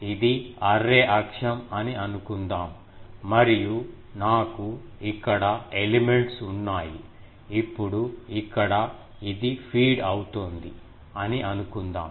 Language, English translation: Telugu, Suppose, this is a array axis and I have elements here, now here suppose, the this is fed